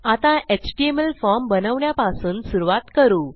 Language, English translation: Marathi, To start with Ill create an html form